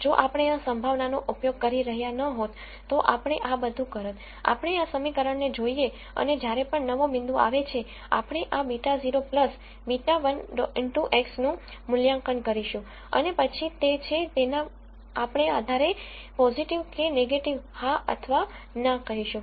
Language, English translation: Gujarati, If we were not using this probability, all that we will do is we will look at this equation and whenever a new point comes in we will evaluate this beta naught plus beta 1 X and then based on whether it is positive or negative, we are going to say yes or no